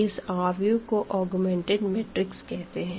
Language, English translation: Hindi, So, this matrix we call as the augmented matrix